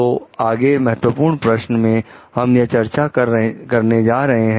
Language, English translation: Hindi, So, in the next key question, what we are going to discuss